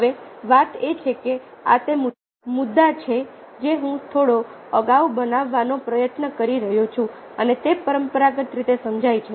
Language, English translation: Gujarati, now the thing is that ah this is the point that have been trying to make ah a little earlier as well has its conventionally understood